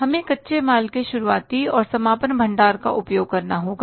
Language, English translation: Hindi, We will have to treat the opening and closing stock of the raw material